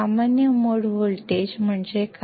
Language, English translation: Kannada, What is common mode voltage